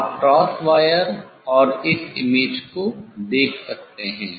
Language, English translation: Hindi, you can see the cross wire and this image